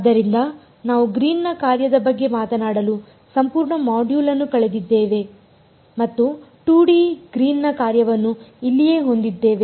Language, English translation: Kannada, So, we spent an entire module talking about the Green’s function and we came up with the 2D Green’s function as here right